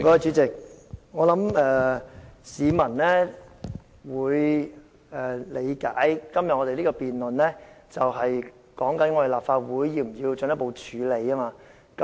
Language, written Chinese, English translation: Cantonese, 主席，我想市民會理解我們今天辯論的是，立法會是否需要進一步處理有關事宜。, President I think the public understand that we are debating on the need for the Legislative Council to further deal with the issue